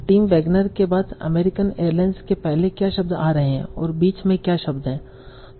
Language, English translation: Hindi, So that is what are the words that are coming before American Airlines, after in Wagner, and what are the words in between